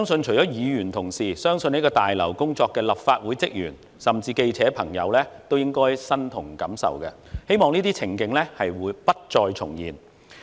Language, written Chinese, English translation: Cantonese, 除了議員同事，我相信在大樓工作的立法會職員甚至記者朋友都應該感同身受，希望這些情景不再重現。, I believe that other than Member colleagues Legislative Council staff who worked in the Complex or even the journalists shared the same feeling . I hope that it will not happen again